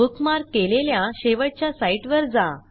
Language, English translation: Marathi, * Go to the last bookmarked site